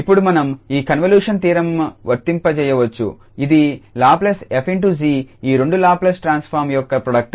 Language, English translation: Telugu, And now we can apply this convolution theorem which says the Laplace of f is star g is the product of these two Laplace transform